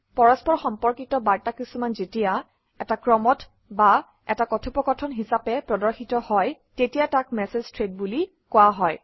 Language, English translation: Assamese, Related messages that are displayed in a sequence or as a conversation are called Message Threads